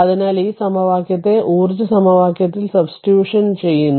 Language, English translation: Malayalam, So, this equation is what you call that in a energy equation right